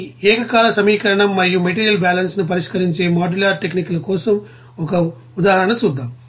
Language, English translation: Telugu, Now, let us have an example for this simultaneous equation and modular techniques of solving material balances